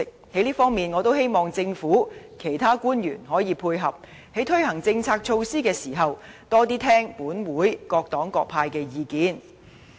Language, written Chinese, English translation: Cantonese, 在這方面，我希望政府其他官員可以配合，在推行政策措施時，多聽取立法會各黨派的意見。, In this regard I hope other government officials can give their support and pay more heed to the views of various political parties and groupings in this Council in the course of implementing policy measures